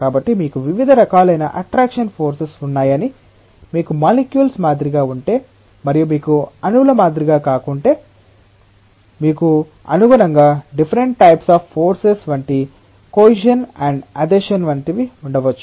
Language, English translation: Telugu, So, there are different types of forces of attraction like, if you have like molecules and if you have unlike molecules you might have accordingly different types of forces like cohesion and adhesion and so on